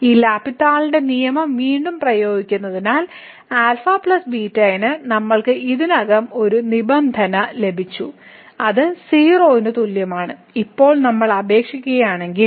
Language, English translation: Malayalam, So, applying this L’Hospital’s rule again so, we got already one condition on alpha plus beta which is equal to and now if we apply